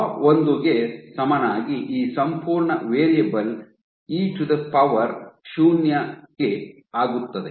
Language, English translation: Kannada, Let us see at t equal to tau 1, this entire variable becomes e to the power 0